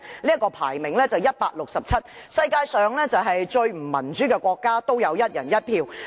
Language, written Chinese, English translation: Cantonese, 這國家排名 167， 是世界上最不民主的國家，但也有"一人一票"。, With the democracy ranking of 167 North Korea is the most undemocratic country in the world